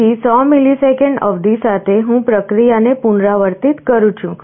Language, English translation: Gujarati, So, with 100 millisecond period, I repeat the process